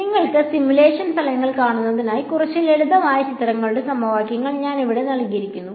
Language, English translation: Malayalam, So, I have just put a few simple equations of pictures over here to show you simulation results